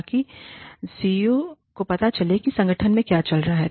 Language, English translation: Hindi, So, that the CEO knows, what is going on in the organization